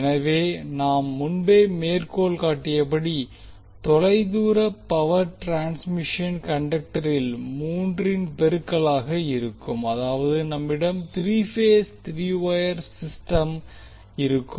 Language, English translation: Tamil, So as we mentioned earlier the long distance power transmission conductors in multiples of three, that is we have three phase three wire system so are used